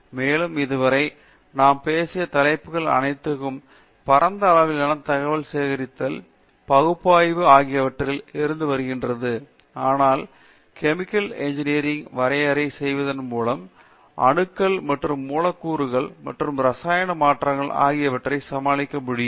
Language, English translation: Tamil, And all of the topics that we have talked about so far have been about information gathering as well as analysis at large scale, but chemical engineers by definition can deal with atoms and molecules and chemical transformations